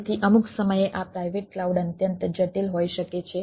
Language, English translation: Gujarati, so at times, this private clouds can be extremely complex